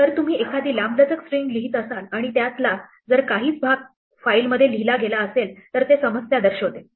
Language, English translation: Marathi, If you try to write a long string and find out only part of the string was written and this is a indication that there was a problem with the write